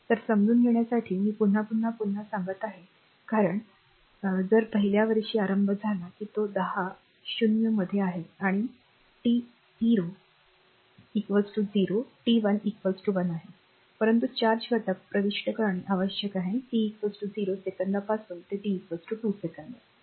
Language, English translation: Marathi, So, I repeat once again for your you know understanding because and if you start in the very first year that it is one in between 0 and one that is this is t 0 is equal to 0 t 1 is equal to 1, but you have to you have to determine the charge entering the element from t is equal to 0 second to t is equal to 2 second